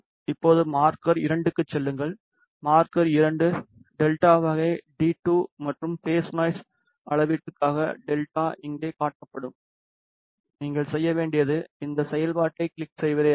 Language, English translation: Tamil, Now, go to marker 2, market 2 is of delta type d 2 and the delta is displayed over here for phase noise measurement all you have to do is click on this function which is phase noise reference fixed function